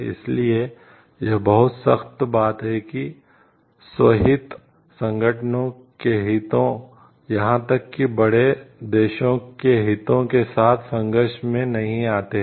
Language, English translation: Hindi, So, it is a very strict this thing so, that the self like interest does not come in clash with the organizations interest, on the even the countries interest at large